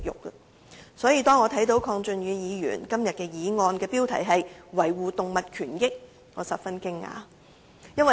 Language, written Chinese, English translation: Cantonese, 因此，當我看到鄺俊宇議員今天的議案的議題是"維護動物權益"時，我感到十分驚訝。, Therefore I was very surprised when I saw the subject of the motion Safeguarding animal rights moved by Mr KWONG Chun - yu today